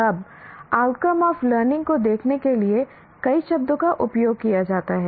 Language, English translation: Hindi, Now, there are several words used to look at outcomes of learning